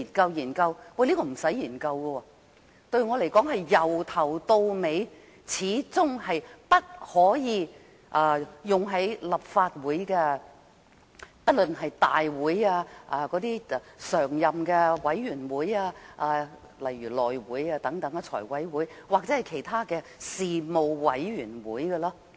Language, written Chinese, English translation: Cantonese, 我認為根本不用研究，因為對我而言，這法例始終是不可用於立法會的，不論是大會、委員會如內務委員會、財務委員會等，或其他的事務委員會。, Therefore the Government will study the issues of applicability properly . Yet I do not see any need to conduct such a study because I think the apology legislation should never be applicable to the Legislative Council including this Council such Committees as the House Committee Finance Committees etc or Panels